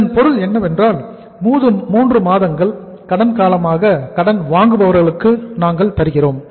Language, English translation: Tamil, It means 3 months we are giving the credit period to the debtors also